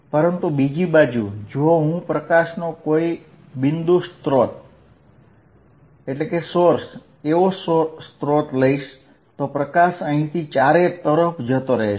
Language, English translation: Gujarati, But, on the other hand, if I take a source of like a point source of light and light is going out from here all around